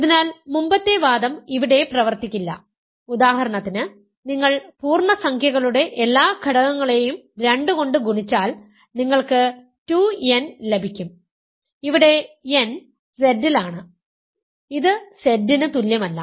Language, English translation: Malayalam, So, the previous argument will not work here because for example, if you multiply every element of integers by 2 you get 2 n where, n is in Z, this is not equal to Z